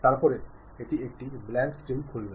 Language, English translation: Bengali, Then it opens a blank screen